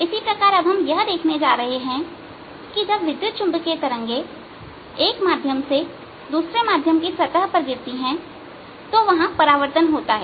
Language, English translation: Hindi, in a similar manner we are now going to see that when electromagnetic waves fall from on a surface, from one medium to the other, there is going to be reflection